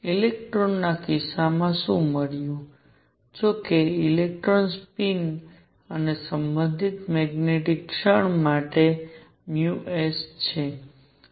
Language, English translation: Gujarati, What was found in the case of electron; however, for electrons spin and the related the magnetic moment mu s